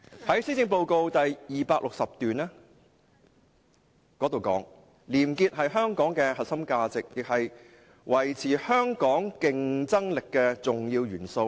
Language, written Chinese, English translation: Cantonese, 施政報告第269段提到，"廉潔是香港的核心價值，亦是維持香港競爭力的重要元素。, In the 269 paragraph of the Policy Address it is said that A clean society is a core value of Hong Kong and one of the key elements in ensuring Hong Kongs competitiveness